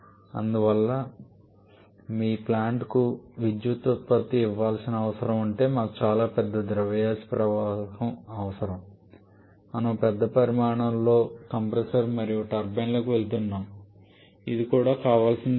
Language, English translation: Telugu, And therefore if your plant needs to given power output we need much larger mass flow rate we are going to large much larger size of compressor and turbine which is also not desirable